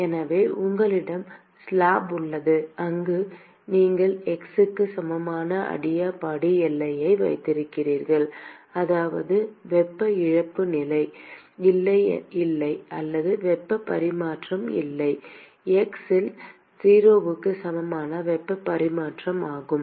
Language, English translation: Tamil, So, let us say you have a slab where you have an adiabatic boundary at x equal to 0 that is there is no heat loss or there is no heat transfer complete heat transfer at x equal to 0 is 0